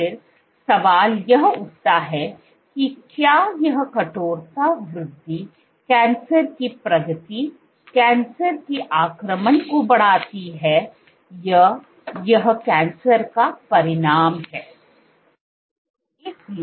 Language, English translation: Hindi, The question then arises is, is this increase in stiffness driving cancer progression, driving cancer invasion, or is it a consequence of cancer